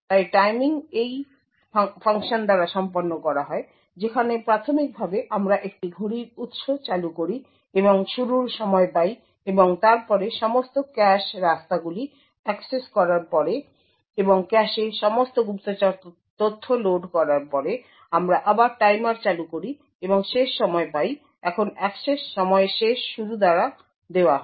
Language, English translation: Bengali, So the timing is done by this function, where initially we invoke a clock source and get the starting time and then after accessing all the cache ways and loading all the spy data into the cache then we invoke the timer again and get the end time, now the access time is given by end start